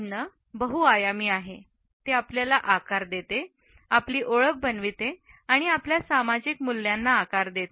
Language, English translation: Marathi, Food is multidimensional, it shapes us, it shapes our identity, it shapes our social values